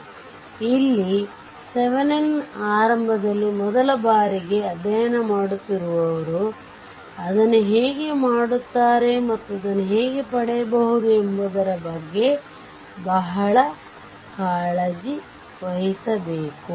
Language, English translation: Kannada, So, here Thevenin’s initially when first time those who are studying first time for them just you have to be very care full that how you do it and how you can get it right